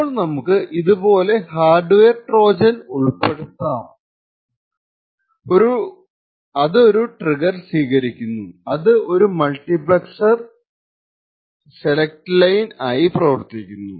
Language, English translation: Malayalam, So, we see that a hardware Trojan like this can be inserted which takes a trigger which acts as a select line to a multiplexer and then we have a MUX